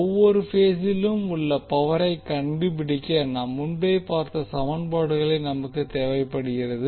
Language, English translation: Tamil, We require that we find the power in each phase using the equation which we have seen earlier also